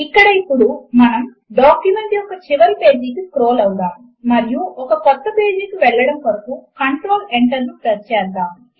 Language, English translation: Telugu, Here let us scroll to the last page of the document and press Control Enter to go to a new page